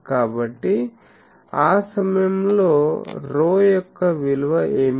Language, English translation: Telugu, So, at that point what is the value of rho